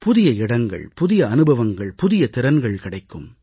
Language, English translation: Tamil, You must try new places, new experiences and new skills